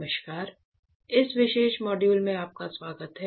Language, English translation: Hindi, Hello, welcome to this particular module